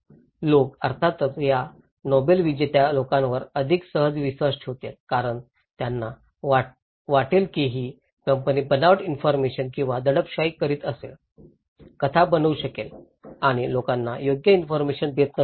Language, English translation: Marathi, People, of course, would easily trust more these Nobel laureates because they can think that this company may be fabricating or suppressing the informations, making stories and not and they are not giving the right information to the people